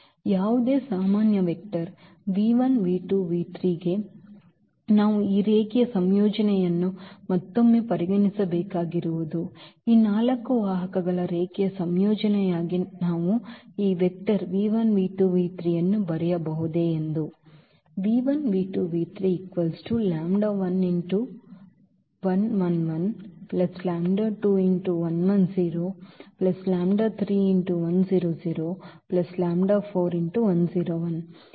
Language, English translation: Kannada, So, for any general vector v 1 v 2 v 3 what we have to again consider this linear combination that whether we can write down this v 1 v 2 v 3 as a linear combination of these four vectors